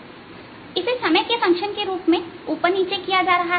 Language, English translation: Hindi, so this is being moved up and down as a function of time